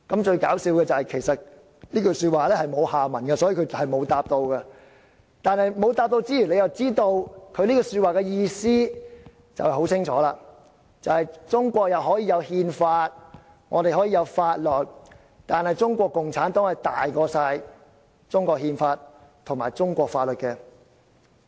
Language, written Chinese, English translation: Cantonese, "最有趣的是，其實這句話沒有下文，所以他並沒有回答，但沒有回答之餘，你又會清楚知道他這句話的意思，便是中國可以有憲法，可以有法律，但中國共產黨大於中國憲法及中國法律。, Interestingly there was actually no further elaboration hence he had not given an answer . Despite the lack of an answer we clearly understand the implication of the General Secretarys remark . It means that notwithstanding the Constitution and the laws in China CPC is superior to the Constitution and the law